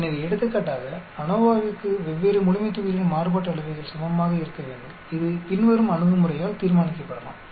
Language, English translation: Tamil, So, for example, ANOVA requires the variances of different populations are equal, this can be determined by the following approach